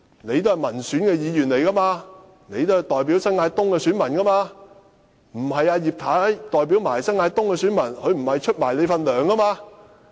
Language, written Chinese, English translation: Cantonese, 你也是民選議員，代表新界東的選民，而葉太沒有代表他們，她也沒有支取你的薪酬。, You are also an elected Member representing the New Territories East constituency . Mrs IP does not represent New Territories East and she does not share your pay